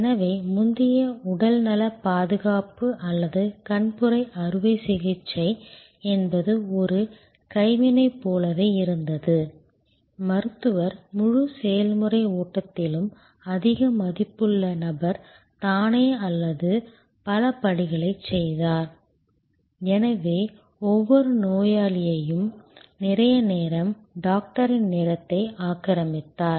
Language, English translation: Tamil, So, health care earlier or cataract operation was more like a craft, the Doctor, the most high value person in the whole process flow did number of steps himself or herself and therefore, each patient occupied a lot of time, the Doctor’s time